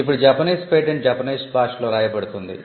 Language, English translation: Telugu, Now a Japanese patent will be written in Japanese language